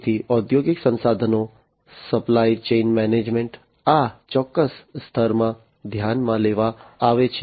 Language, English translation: Gujarati, So, industrial resources, supply chain management, these are considered in this particular layer